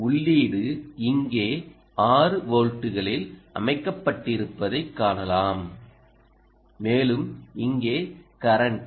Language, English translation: Tamil, so now, ah, you can see that input is here a set at six volts and the current here is ah